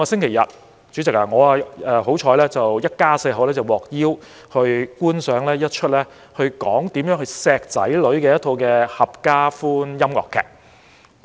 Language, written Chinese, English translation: Cantonese, 代理主席，上星期天，我一家四口幸運地獲邀觀賞一齣如何愛惜子女的合家歡音樂劇。, Deputy President last Sunday my family of four was luckily invited to watch a musical suitable for the whole family on how to cherish our children